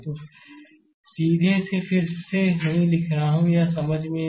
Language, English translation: Hindi, So, directly I am not writing again, it is understandable to you, right